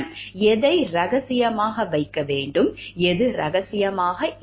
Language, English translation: Tamil, What is to be kept confidential and what is not confidential